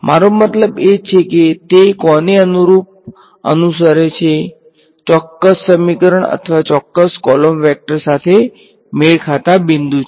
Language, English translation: Gujarati, I mean which does it correspond to a particular equation or a particular column the matching point